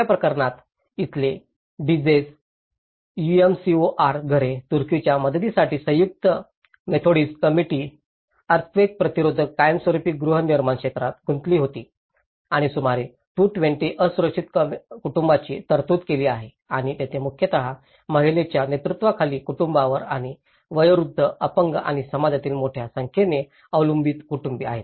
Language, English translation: Marathi, In the third case, Duzce UMCOR houses here, the United Methodist Committee on relief of Turkey was engaged in earthquake resistant permanent housing and it has provided for about 220 vulnerable families and here, it has mostly focused on the female headed households and the elderly and the disabled and the families with a large number of dependents within the communities